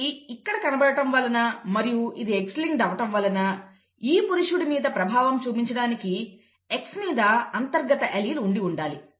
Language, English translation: Telugu, And this is manifested here and it is X linked therefore this has to have a recessive allele on the X for it to be manifest in this male here, okay